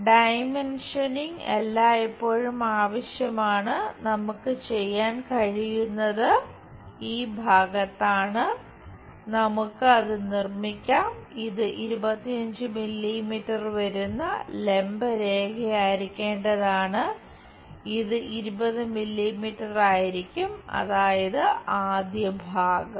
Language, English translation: Malayalam, The dimensioning always be required and what we can do is on this side, let us make it this supposed to be vertical lines 25 and this will be 20 that is the first part